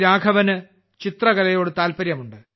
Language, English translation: Malayalam, Raghavan ji is fond of painting